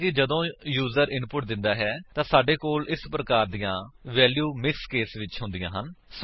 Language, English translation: Punjabi, Often, when users give input, we have values like this, in mixed case